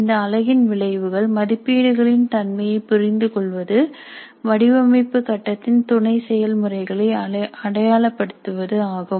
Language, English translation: Tamil, The outcomes for this unit are understand the nature of assessment, identify the sub processes of design phase